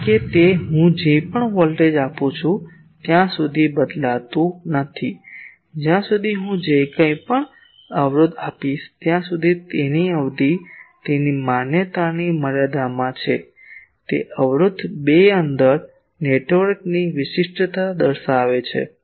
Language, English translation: Gujarati, Because that does not change whatever voltage I give whatever current I give as long as that impedance is within the range of its validity the impedance uniquely characterizes the 2 port network